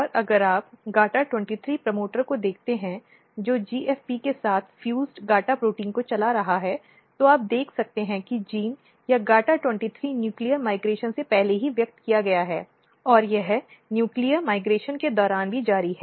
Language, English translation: Hindi, And if you look GATA23 promoter driving GATA protein fused with GFP you can see the gene is or the GATA23 is expressed even before nuclear migration and it continues during the nuclear migration